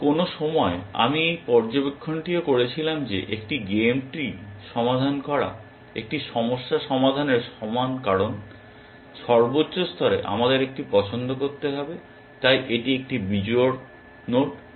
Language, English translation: Bengali, And at some point I had also made this observation that, solving a game tree is similar to solving an of problem because at the max level we have to make one choice, so it is an odd node